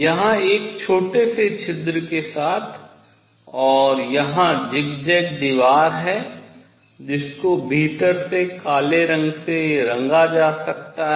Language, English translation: Hindi, With a small hole here and zigzag wall here maybe painted with black inside